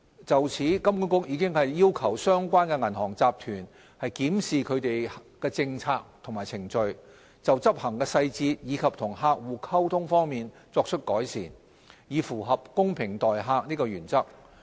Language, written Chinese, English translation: Cantonese, 就此，金管局已經要求相關銀行集團檢視其政策和程序，就執行細節及與客戶溝通方面作出改善，以符合"公平待客"的原則。, In this regard HKMA has already requested the relevant group to review its policies and procedures as well as undertake measures to improve its execution and customer communication issues so as to align with the Treat Customers Fairly principle